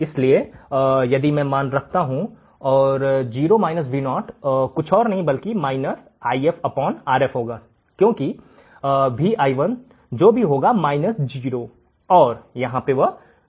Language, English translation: Hindi, So, if I substitute the value and 0 minus Vo, is nothing but minus If by R f because Vi1 is what – 0, and here is Vo